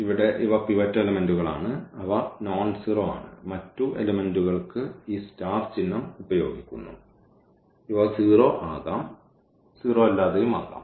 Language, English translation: Malayalam, So, here these are the pivot elements and they are nonzero and with this symbol or this star here these are the other elements they may be 0 and they may not be 0